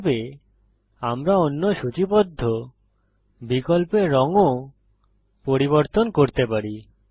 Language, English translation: Bengali, In this way, we can change the colour of the other listed options too